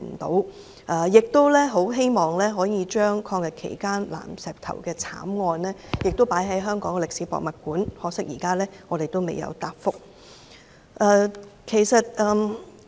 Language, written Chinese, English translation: Cantonese, 他們亦希望抗日期間南石頭慘案的事跡能夠在香港歷史博物館保存，可惜，當局仍未答覆。, They also hope that the story of the Nanshitou tragedy during the Anti - Japanese War can be preserved at the Hong Kong Museum of History . Unfortunately the authorities have not given a reply yet